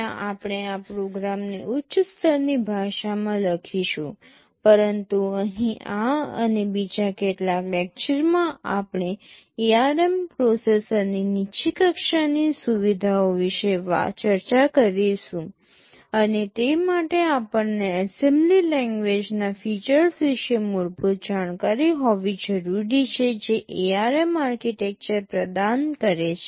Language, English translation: Gujarati, There we shall be writing our programs in a high level language, but here in this and a couple of other lectures we shall be discussing about the low level features of the ARM processor, and for that we need to have a basic idea about the assembly language features that ARM architecture provides